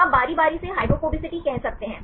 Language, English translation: Hindi, So, you can say alternating hydrophobicity